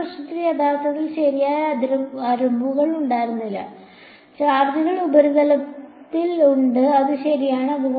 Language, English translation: Malayalam, In the other problem there was no boundary really right the charges are there over surface and that is it right